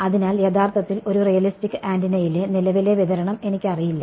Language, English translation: Malayalam, So, actually I do not know the current distribution in a realistic antenna